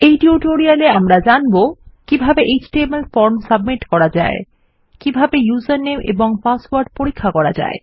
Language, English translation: Bengali, This tutorial will give a few aspects of php that will focus on how an html form can be submitted and how to check for user name and password